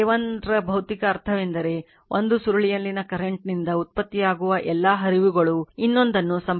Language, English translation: Kannada, Physical meaning of K 1 is that, all the flux produced by the current in one of the coil links the other right